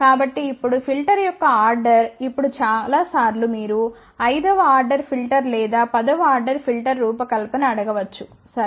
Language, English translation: Telugu, So now, order of the filter now the thing is many a times you may be just ask ok design a fifth order filter or tenth order filter, ok